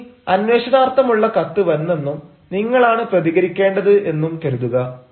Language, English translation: Malayalam, but suppose the letter for enquiry came and you are to respond now